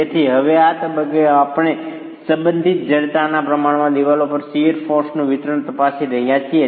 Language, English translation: Gujarati, So, now at this stage we are examining the distribution of the shear forces to the walls proportionate to the relative stiffnesses